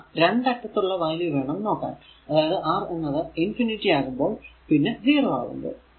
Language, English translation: Malayalam, So, we can so, we must consider the 2 extreme possible values of R that is when R is equal to infinity and when R is equal to 0